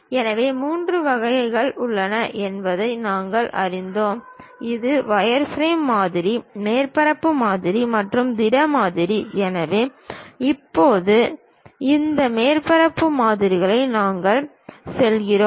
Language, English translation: Tamil, So, we learned about there are three varieties: one wireframe model, surface models and solid models; so, now, we are going for this surface models